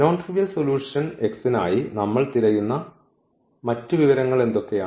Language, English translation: Malayalam, So, what is other information we have that we are looking for this non trivial solution x